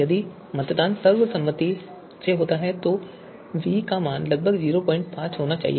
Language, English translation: Hindi, If the voting is by consensus then value of v should be approximately 0